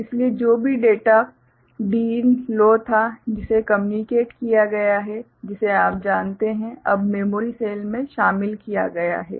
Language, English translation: Hindi, So, whatever data Din that was low that has been communicated that has been you know, included now in the memory cell